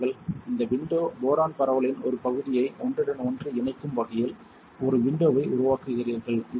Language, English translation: Tamil, You create a window such that this window would be overlapping a part of the boron diffusion and this is for what